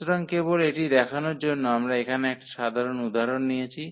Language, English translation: Bengali, So, just to demonstrate this we have taken the simple example here